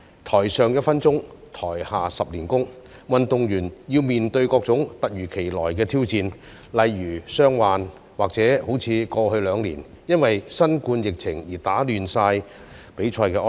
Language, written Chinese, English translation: Cantonese, "台上一分鐘，台下十年功"，運動員要面對各種突如其來的挑戰，例如傷患及過去兩年因新冠疫情而被打亂的比賽安排。, As the saying goes One minute of performance on stage takes ten years of practice offstage . There are far too many unexpected challenges facing athletes which can be injuries or the disruption of competitions caused by the novel coronavirus epidemic in the past two years